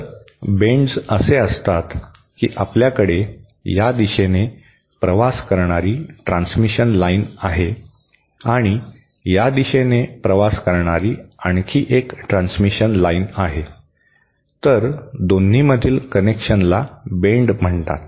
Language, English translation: Marathi, So, bends are like, you have a transmission line travelling in this direction and another transmission line travelling in this direction, then the connection between the 2 is called the bend